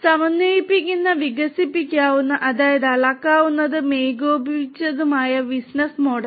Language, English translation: Malayalam, Supports a coherent, expandable; that means, scalable and coordinated business model; coordinated business model